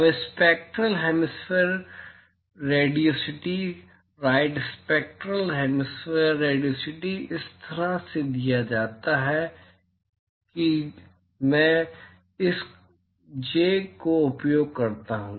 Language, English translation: Hindi, Now, the spectral hemispherical radiosity right spectral hemispherical radiosity is given by so the symbol I use this J